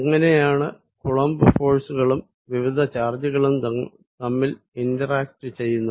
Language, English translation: Malayalam, How about Coulomb's force and how different charge is interact with each other